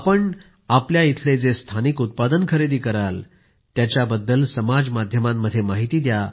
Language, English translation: Marathi, Do share on social media about the local products you buy from there too